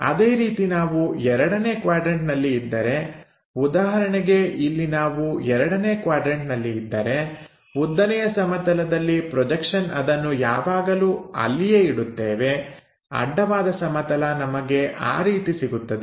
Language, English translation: Kannada, Similarly, if we are in 2nd quadrant for example, here, if we are in 2nd quadrant, vertical plane projection always we keep it there, horizontal projections we might be having it in that way